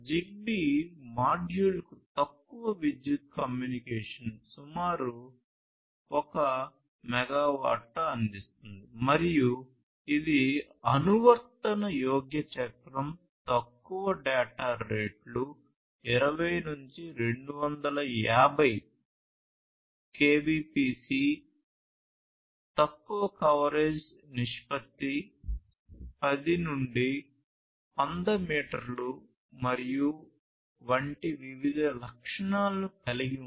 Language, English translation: Telugu, So, it provides low power communication around 1 megawatt per ZigBee module and it has different features such as offering adaptable duty cycle, low data rates of about 20 to 250 Kbps, low coverage ratio of 10 to 100 meter and so on